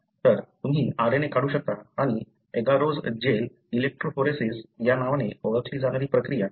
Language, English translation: Marathi, So, you can extract RNA and do what is called as agarose gel electrophoresis